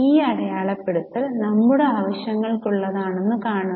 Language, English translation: Malayalam, See, this marking is for our internal purposes